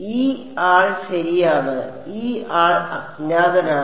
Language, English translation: Malayalam, This guy right, this guy is unknown